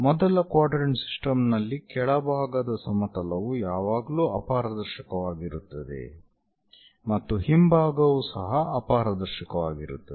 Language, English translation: Kannada, For first quadrant system the bottom plane always be opaque plane similarly, the back side is also opaque